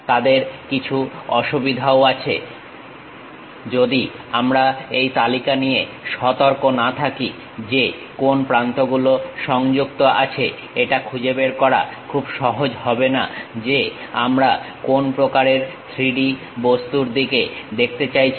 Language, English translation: Bengali, They have certain disadvantages also, if we are not careful with this list which edges are connected with each other, it is not so, easy to identify what kind of 3D object we are looking at